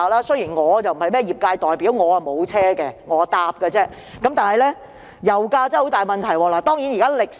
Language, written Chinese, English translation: Cantonese, 雖然我不是業界代表，也沒有私家車，但我也深感油價問題嚴重。, Although I am neither a trade representative nor a car owner I also understand the seriousness of this problem